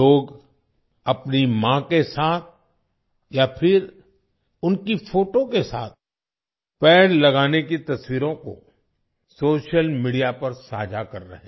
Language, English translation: Hindi, On social media, People are sharing pictures of planting trees with their mothers or with their photographs